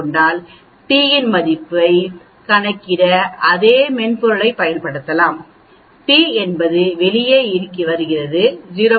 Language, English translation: Tamil, And then the same software can be used to calculate the p value, the p comes out to be 0